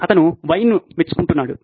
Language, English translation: Telugu, He appreciated wine